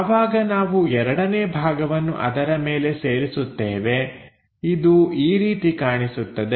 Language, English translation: Kannada, Once we attach this second part on top of that it looks like that